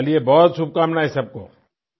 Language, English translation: Hindi, I wish everyone all the best